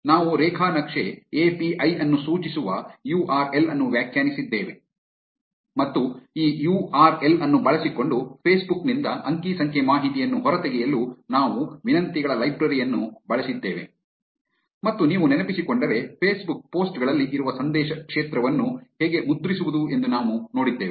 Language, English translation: Kannada, We defined a URL which was pointing to the graph API and we used a requests library to extract data from Facebook using this URL and if you remember, we saw how to print the message field present in Facebook posts